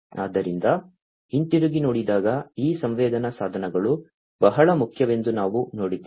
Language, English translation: Kannada, So, going back we have seen that these sensing devices are very important